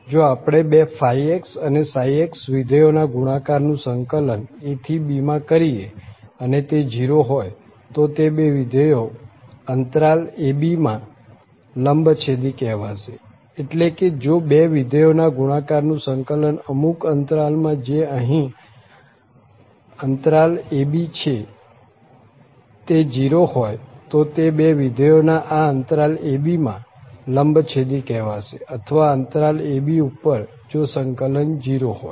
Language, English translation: Gujarati, So, we call that two functions phi x and psi x to be orthogonal on this interval a, b, if we integrate from a to b, the product of these two functions and if it is 0, if the product of the two functions integrated over the certain interval here a, b is 0 then we call that these two functions are orthogonal in this interval a, b or on the interval a, b, if this integral is 0